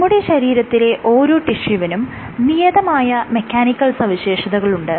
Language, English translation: Malayalam, So, each tissue in our body has a distinct mechanical property